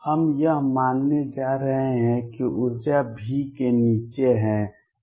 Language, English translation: Hindi, We are going to assume that the energy lies below V